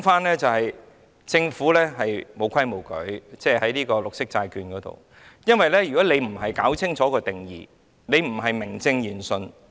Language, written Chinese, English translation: Cantonese, 我要說的是政府在發行綠色債券上沒有規矩，因為如果不清楚界定定義，就不是名正言順。, What I mean to say is that the Government has not observed the rules in the issuance of green bonds . If the definition is not stated clearly the issuance will not tally with its claim